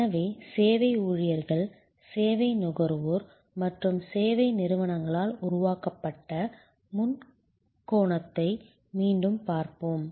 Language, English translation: Tamil, So, again we will look at the triangle, the triangle constituted by service employees, service consumers and service organizations